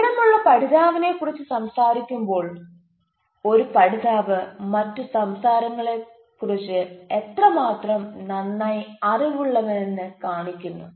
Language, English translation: Malayalam, so when you talk about informed learner, so this shows that how a learner is well aware of other cultures, how other people thinks